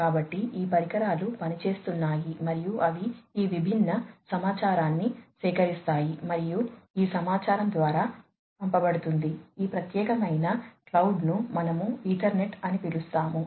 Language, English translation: Telugu, So, these devices are operating and they collect these different information, and this information is sent through, let us say, this particular cloud we call it as the Ethernet